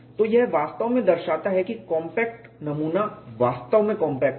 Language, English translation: Hindi, So, this really shows compact specimen is really compact